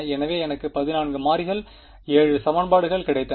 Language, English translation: Tamil, So, I got 14 variables 7 equations